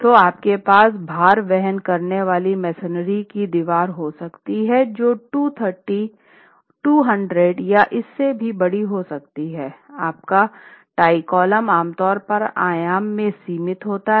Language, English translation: Hindi, So, you might have a load bearing masonry wall which is 230, 200, 200, 230 or even larger, your tie column is typically limited in dimension